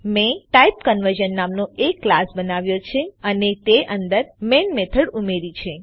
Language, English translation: Gujarati, I have created a class TypeConversion and added the main method to it